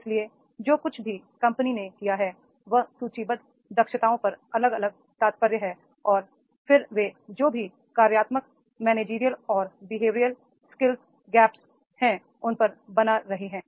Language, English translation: Hindi, So, whatever has been the company appraises, individual employees, the listed competencies are there and then they are making the on the whatever functional managerial and behavioral skill gaps are there